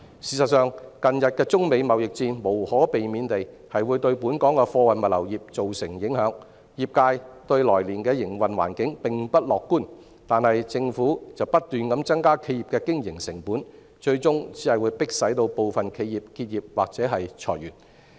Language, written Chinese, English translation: Cantonese, 事實上，近日的中美貿易戰無可避免地會對本港的貨運物流業造成影響，業界對來年的營運環境並不樂觀，但政府卻不斷增加企業的經營成本，最終只會迫使部分企業結業或裁員。, In fact the current United States - China trade war will inevitably affect the local freight and logistics industry . The industry has become pessimistic about the business environment next year and yet the Government has been adding to the operational costs of enterprises eventually only forcing some enterprises to close down or make layoffs